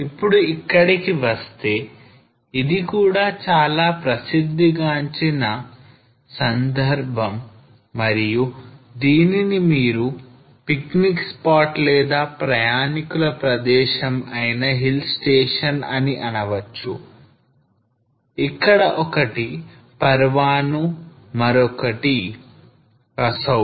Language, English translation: Telugu, Now coming to this, this again is very well known occasion and the picnic spot also you can say or the tourist spot hill stations one is the Parwanoo here and then you go to Kasauli